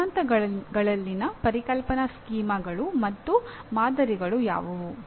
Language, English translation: Kannada, What are conceptual schemas and models in theories